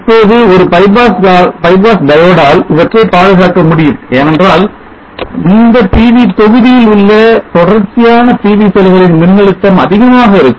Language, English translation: Tamil, Now these can be protected with a bypass because the voltage of these PV cells in series of this PV module will be high